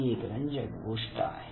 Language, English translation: Marathi, So this is an interesting thing